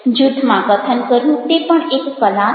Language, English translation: Gujarati, speaking in a group is also an art